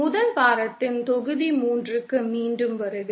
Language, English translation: Tamil, Welcome back to module 3 of the 1st week